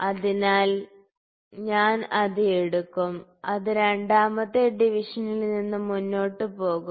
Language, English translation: Malayalam, So, I will take it, it will forward from the second division